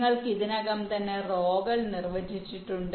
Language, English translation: Malayalam, you already have the rows defined